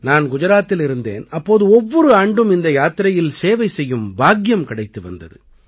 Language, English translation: Tamil, I was in Gujarat, so I also used to get the privilege of serving in this Yatra every year